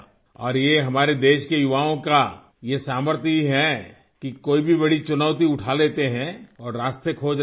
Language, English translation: Urdu, And it is the power of the youth of our country that they take up any big challenge and look for avenues